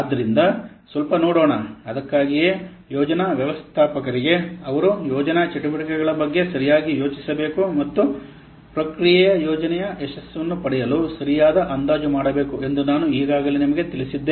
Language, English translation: Kannada, So that's why let's see, I have already told you has to the project manager has to plan properly regarding the activities of the project and do proper estimation in view to get the project success